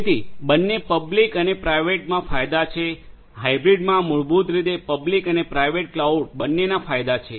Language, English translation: Gujarati, So, both public and private and it has that advantages the hybrid basically has advantages of both the public and the private cloud